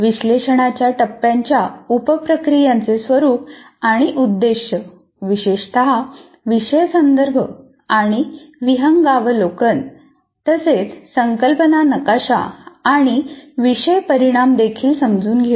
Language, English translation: Marathi, And also understand the nature and role of sub processes of analysis phase, particularly course context and overview, concept map and course outcomes